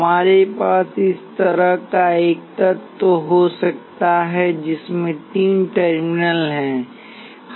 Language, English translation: Hindi, We can have an element like this, which has three terminals